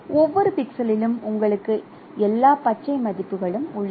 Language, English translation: Tamil, So, in that case at every pixel you have all the green values